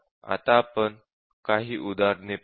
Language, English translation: Marathi, Now, let us take some examples